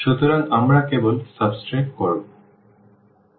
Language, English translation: Bengali, So, we will just subtract